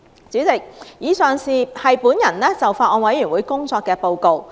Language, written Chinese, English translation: Cantonese, 主席，以上是我就法案委員會工作的報告。, President the aforesaid is my report of the work of the Bills Committee